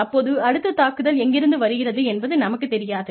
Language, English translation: Tamil, You do not know, where the next attack is coming from